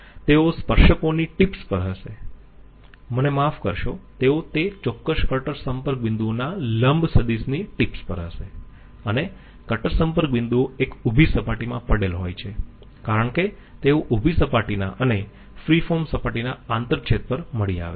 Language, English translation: Gujarati, They will be at the tips of the tangents sorry at the tips of the normal vectors at those very cutter contact points and the cutter contact points are lying on a vertical plane because they are found out by the intersection of vertical planes and the free form surface